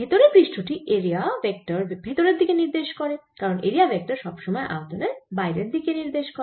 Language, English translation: Bengali, in the inner surface, if i look at the inner surface, the area vector is pointing invert because area vector is always taken to be going out of the volume